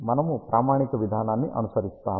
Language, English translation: Telugu, We will follow the standard procedure